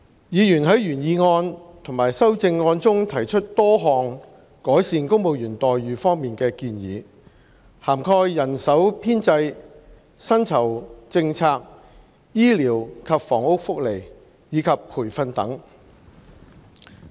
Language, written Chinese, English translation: Cantonese, 議員在原議案和修正案中提出多項改善公務員待遇方面的建議，涵蓋人手編制、薪酬政策、醫療及房屋福利，以及培訓等。, Members have raised in the original motion and its amendments a number of suggestions to improve the employment terms of civil servants spanning manpower establishment remuneration policy medical and housing benefits training and so on